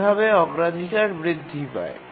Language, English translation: Bengali, Cannot really increase the priority